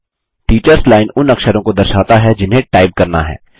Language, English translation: Hindi, The Teachers Line displays the characters that have to be typed